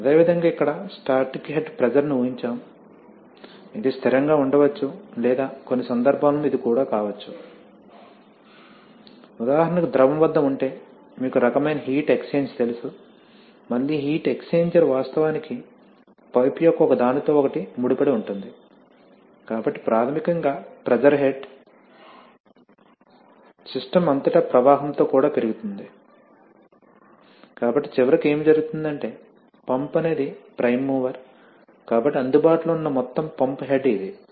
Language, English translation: Telugu, Similarly here we have assumed a static head pressure, it may be constant or in some cases even this, for example if the fluid is at, you know kind of heat exchanger then again the heat exchanger is actually nothing but a intertwined length of pipe, so basically the pressure head across the system will also increase with flow, so eventually what happens is that see the pump is the prime mover, right, so the total pump head available is this one